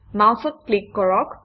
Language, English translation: Assamese, Click the mouse